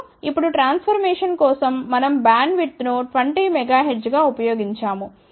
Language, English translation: Telugu, And, now for the transformation we have used the bandwidth as 20 megahertz